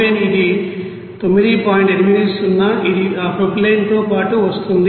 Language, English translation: Telugu, 80 which is coming along with that propylene